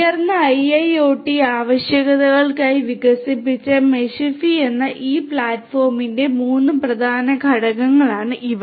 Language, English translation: Malayalam, These are the three these three main components of this platform Meshify which has been developed for higher IIoT requirements